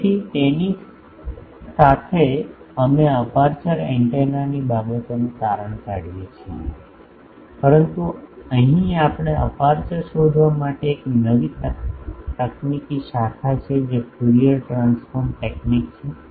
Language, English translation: Gujarati, So, with that we conclude these aperture antenna things, but here we have learnt a new technique that Fourier transform technique for a finding aperture